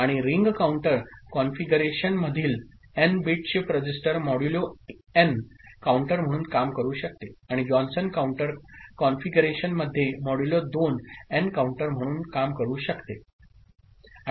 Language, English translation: Marathi, And n bit shift register in ring counter configuration can act as a modulo n counter and in Johnson counter configuration as modulo 2n counter